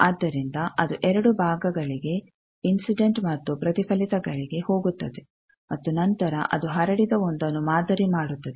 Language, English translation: Kannada, So, that goes to two parts incident and reflected and then also it samples the transmitted one